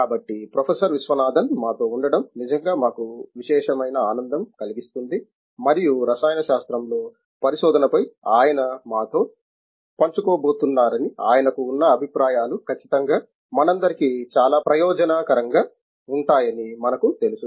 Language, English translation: Telugu, Viswanathan with us and I am sure the views that he has, that he is going to share with us on research in chemistry would definitely be very beneficial for all of us